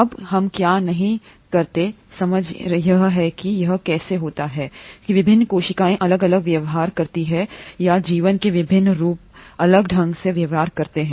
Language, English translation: Hindi, Now what we do not understand is how is it that different cells behave differently or different forms of life behave differently